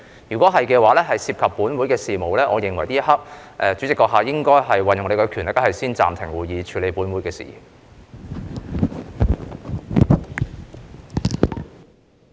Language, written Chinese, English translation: Cantonese, 如是，這會涉及本會事宜，我認為這一刻代理主席應該運用你的權力先暫停會議，以處理本會事宜。, If so the matter concerns this Council and I think Deputy President you should exercise your power to suspend the meeting to deal with this business